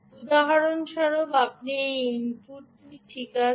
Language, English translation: Bengali, for instance, you change this input